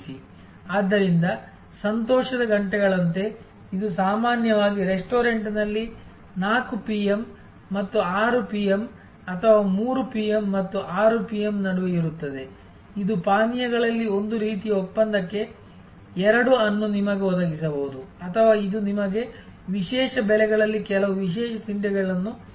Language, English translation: Kannada, So, like happy hours, which is usually between 4 PM and 6 PM or 3 PM and 6 PM in a restaurant may provide you 2 for 1 type of deal in drinks or it can provide you certain special snacks at special prices and so on